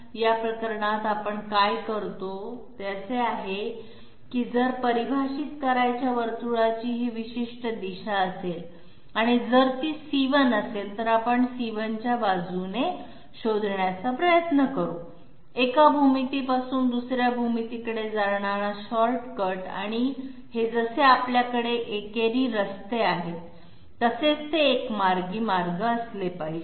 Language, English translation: Marathi, What we do in this case is this that if the circle to be defined is to have this particular direction and if it is say C1, we will try to find out along C1 the shortcut from one geometry to another and it will have to be just like we have one way roads, so it has to be a one way route